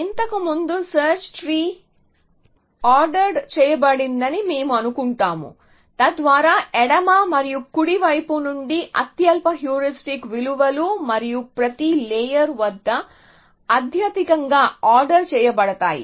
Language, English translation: Telugu, Earlier, we assume that the search tree is ordered, so the lowest heuristic values are from the left and the right and the highest at each layer is ordered